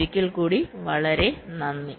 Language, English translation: Malayalam, thank you very much once again